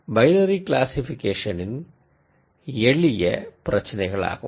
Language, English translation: Tamil, So, these I would call as simpler problems in binary classification